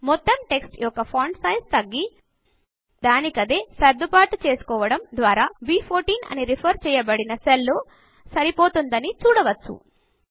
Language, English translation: Telugu, You see that the entire text shrinks and adjusts itself by decreasing its font size so that the text fits into the cell referenced as B14